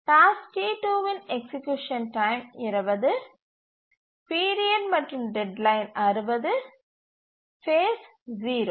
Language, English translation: Tamil, The task T2, execution time is 20, the period and deadline is 60 and the phase is 0